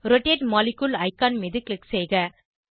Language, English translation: Tamil, Click on rotate molecule icon